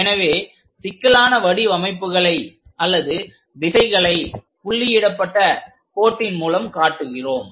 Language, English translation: Tamil, So, we just to represent that intricate dimensions or directions also we are showing it by a dashed line